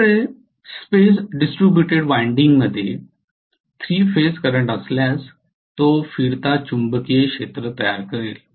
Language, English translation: Marathi, If I have 3 phase current in a space distributed winding that will create a revolving magnetic field definitely